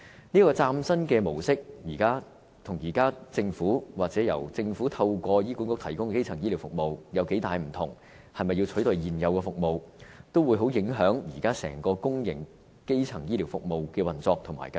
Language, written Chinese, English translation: Cantonese, 這個嶄新的模式，跟現時政府，或政府透過醫管局提供的基層醫療服務有多大分別、是否要取代現有服務，也會相當影響現時整個公營基層醫療服務的運作和計劃。, What is the difference between this brand new operation mode and the existing primary health care services provided by the Government or the Hospital Authority? . Will the new operation mode of services replace the existing services? . That will have an enormous impact on the operation and planning of the existing public primary health care service providers